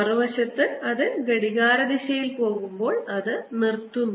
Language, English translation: Malayalam, on the other hand, when it goes clockwise, it is stopped